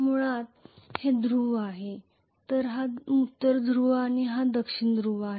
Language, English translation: Marathi, So these are the poles the basically, so this is the North Pole and this is the South Pole